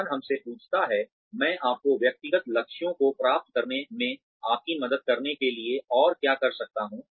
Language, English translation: Hindi, The organization asks us, what more can I do, to help you achieve your personal goals